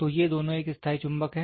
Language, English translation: Hindi, So, these two are a permanent magnet